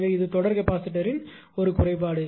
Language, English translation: Tamil, So, series capacitor it has no value right